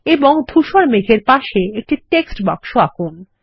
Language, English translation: Bengali, And draw a text box next to the grey clouds